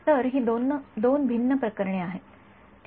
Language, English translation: Marathi, So, these are the two different cases ok